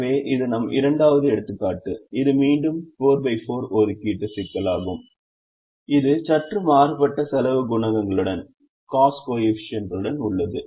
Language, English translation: Tamil, so this is second example, which is again a four by four assignment problem with slightly different cost coefficients